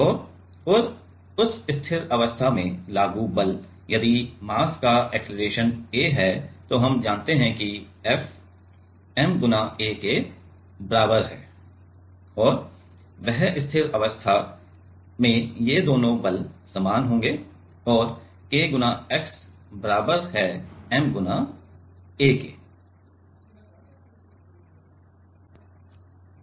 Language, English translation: Hindi, And, that steady state, the applied force, if the mass has an acceleration of a then we know that F is equal to ma right and that steady state these two forces will be same and K x is equals to m a